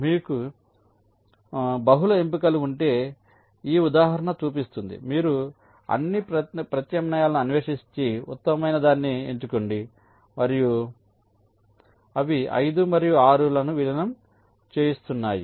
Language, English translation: Telugu, so this example shows if you have multiple choices, you explore all the alternatives and select the best one, and that there is namely merging five and six